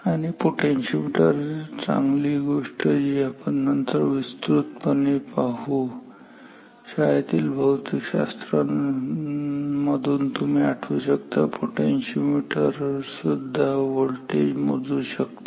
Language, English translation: Marathi, And, the nice thing about potentiometer is that we will talk about potentiometers in more detail later, but from your high school physics we can recall that potentiometers also can measure voltage